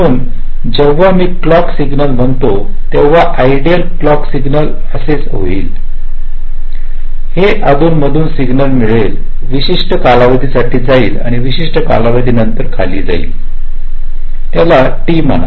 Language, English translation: Marathi, so when i say the clock signal, so the ideal clock signal will be like this: it would be get periodic signal that we go up and down with certain time period, lets say t